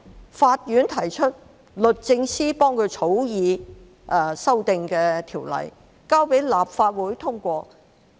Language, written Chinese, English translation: Cantonese, 由法院提出，律政司為它草擬修訂的條例，交到立法會通過。, The amendments were initiated by the courts the Department of Justice then drafted the amendment bill and introduced it to the Legislative Council for passage